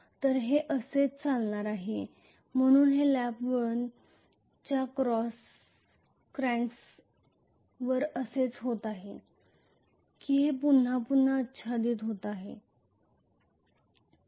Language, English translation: Marathi, So it is going to go like this, so this is essentially the cracks of lap winding this is how it is going to be it is overlapping repeatedly